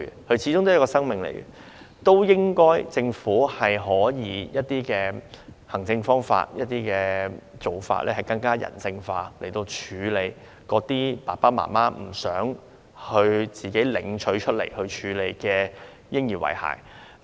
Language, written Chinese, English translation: Cantonese, 嬰兒始終是一個生命，政府應該可以利用一些行政方法，更人性化地處理那些父母不想自行處理的嬰兒遺骸。, An aborted baby is a life after all and the government should adopt some administrative measures to handle in a more humanistic manner the remains of aborted babies whose parents do not want to deal with by themselves